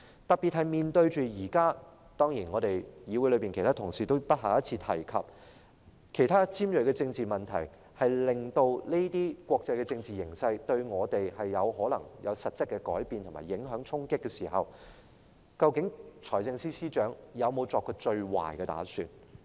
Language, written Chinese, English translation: Cantonese, 特別是面對着現時——當然，議會內其他同事都不下一次提及——其他尖銳的政治問題，我們在此國際政治形勢之下，可能受到實質的改變、影響和衝擊，在這時候，究竟財政司司長有否作最壞的打算？, In particular now that we are faced with other currently acute political issues which other colleagues in the Council have certainly also mentioned more than once and susceptible to substantial changes influences and disruptions in this international political situation has FS prepared for the worst scenario?